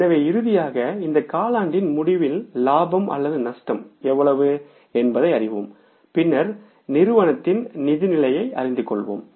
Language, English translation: Tamil, So finally we will know that what is the state of profit or loss at the end of this quarter and then we will know the financial position of the company